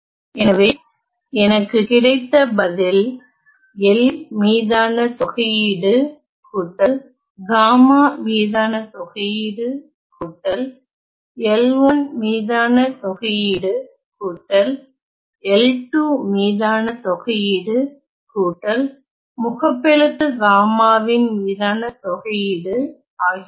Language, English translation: Tamil, So, what I have is that the integral over L will be negative of the integral over gamma plus negative of the integral over L 2 L 1 negative of the integral over L 2 and negative of the integral over capital gamma